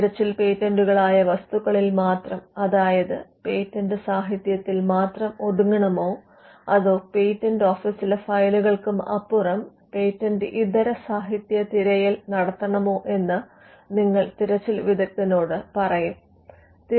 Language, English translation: Malayalam, Now you would also say to the searcher whether the search should confine to only materials that are patents; that is, the patent literature, or whether it could also go beyond the files of the patent office, and which is what we call a non patent literature search